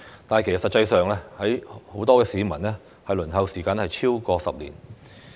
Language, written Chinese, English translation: Cantonese, 但是，實際上，很多市民的輪候時間是超過10年。, However in reality the waiting time for many members of the public is more than 10 years